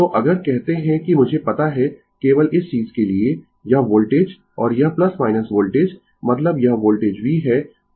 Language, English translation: Hindi, So, if we say that I know just for your this thing, this voltage and this plus minus voltage means this is the voltage v, right